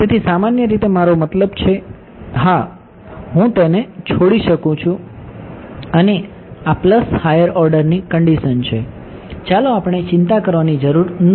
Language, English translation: Gujarati, So, in general it is I mean yeah I can just leave it this is the plus higher order terms ok, let us we need not worry about